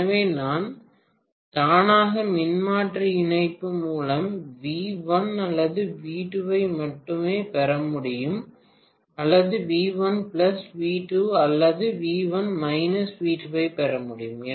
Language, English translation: Tamil, So I would be able to get by auto transformer connection either V1 or V2 alone or I would be able to get V1 plus V2 or V1 minus V2